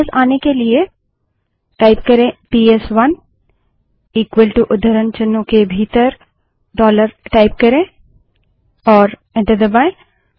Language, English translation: Hindi, To revert back type PS1 equal to dollar within quotes and press enter